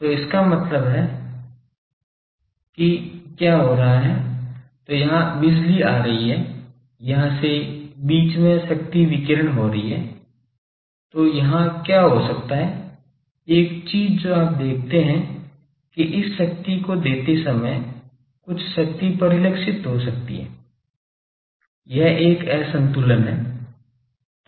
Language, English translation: Hindi, So that means, what is happening, so, power is coming here then power is radiated from here so in between here what can happen one thing you see that while giving this power some power may gets reflected so, that is a mismatch